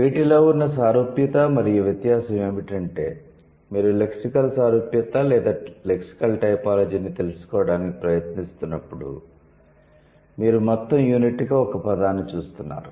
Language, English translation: Telugu, And the difference is that when you are trying to approach lexical similarity or lexical typology, you are approaching word as a whole unit